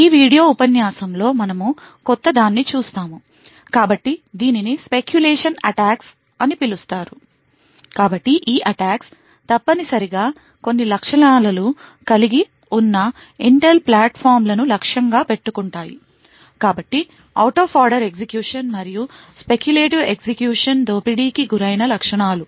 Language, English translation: Telugu, In this video lecture we will look at something which is relatively new, so it is known as speculation attacks so these attacks are essentially targeted for Intel like platforms which have certain features, so the features which are exploited are the out of order execution and the speculative execution